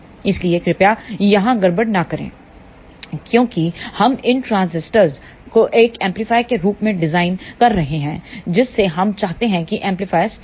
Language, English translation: Hindi, So, please do not mix up here, since we are designing this transistor as an amplifier we want amplifier to be stable